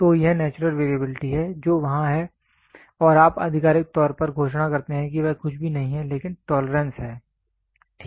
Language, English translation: Hindi, So, that is the natural variability which is there and you officially declare that is nothing, but the tolerance, ok